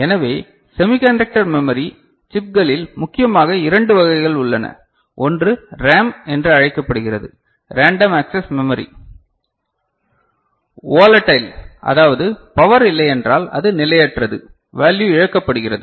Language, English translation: Tamil, So, in semiconductor memory chips we have mainly two kinds of them, one is called RAM; Random Access Memory; this is volatile means if power goes the value gets lost